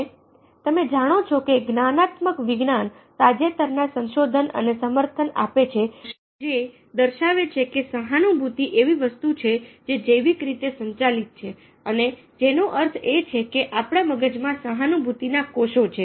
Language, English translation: Gujarati, recent ah exploration of the cognitive sciences indicate that there is a lot of support which tells us that ah, empathy is something which is biological driven, which means that we have empathy cells within our brains and these are known as mirror neurons